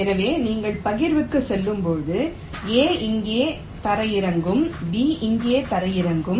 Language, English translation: Tamil, so as you go on partitioning, it may so happen that a will land up here and b will land up there